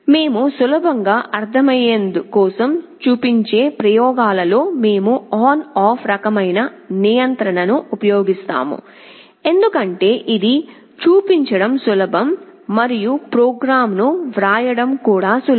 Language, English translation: Telugu, In the experiments that we shall be showing for simplicity, we shall be using on off kind of control, because it is easier to show and also easier to write the program